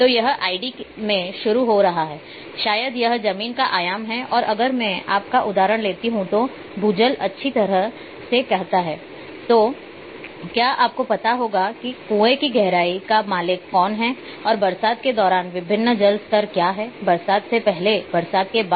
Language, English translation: Hindi, So, starting from it’s id maybe it’s ground dimensions, and if I take example of you say ground water well then, it will have you know the who owns the well what is the depth of the well and what are the different water levels during monsoon, pre monsoon, post monsoon